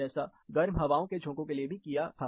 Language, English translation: Hindi, Similar to that, we had from hot winds